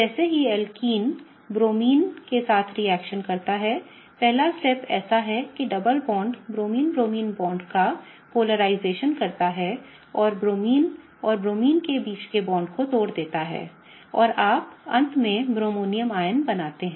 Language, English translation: Hindi, As the alkene reacts with the Bromine, the first step is such that the double bond creates a polarization of the Bromine Bromine bond and breaks the bond between the Bromine and Bromine and you end up forming a bromonium ion